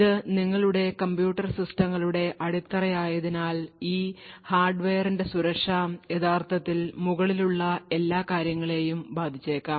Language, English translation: Malayalam, Since this is at the base of your computer systems, the security of these hardware could actually impact all the things which come above